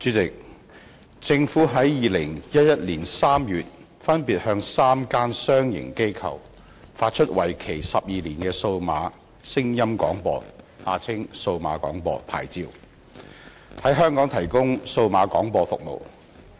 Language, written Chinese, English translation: Cantonese, 主席，政府於2011年3月分別向3間商營機構發出為期12年的數碼聲音廣播牌照，在香港提供數碼廣播服務。, President in March 2011 the Government granted digital audio broadcasting DAB licences separately to three commercial organizations to provide DAB services in Hong Kong for a period of 12 years